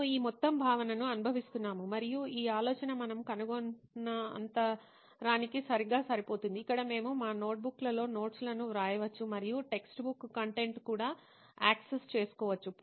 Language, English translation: Telugu, We feel this whole concept and this idea could be a right fit in for that gap what we have found out, where we can actually take down notes like we are taking down notes in our notebooks and also have access to textbook content like we been having through all the textbook content